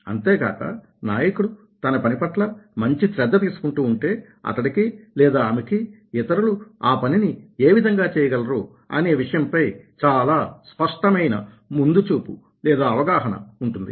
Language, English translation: Telugu, also, if a leader is doing a good job of taking care of him or herself, she or he will have much clear prospective on how others can do